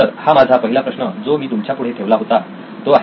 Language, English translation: Marathi, This is my first problem that I proposed to you